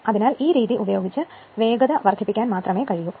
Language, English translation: Malayalam, So, in that way speed can be reduced right